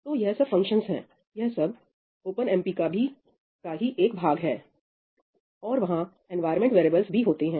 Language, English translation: Hindi, So, these are functions, these are also a part of OpenMP; and then, there are environment variables